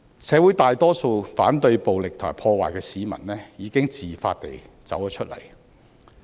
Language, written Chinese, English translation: Cantonese, 社會大多數反對暴力和破壞的市民，已經自發地走出來。, Most members of the community who oppose violence and vandalism have come out on their own accord